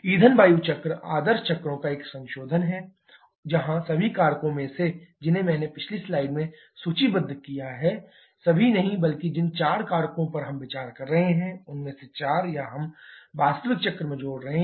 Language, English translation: Hindi, Fuel air cycle is a modification of the ideal cycles where among all the factors that I just listed in the previous slide not all but four of the factors we are considering or we are adding to the actual cycle